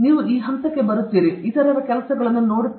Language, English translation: Kannada, You come up to this stage, then you will do the other things also